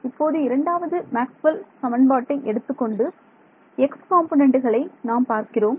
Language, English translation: Tamil, So, I am taking the second Maxwell’s equation and looking at the x component and assuming current 0 ok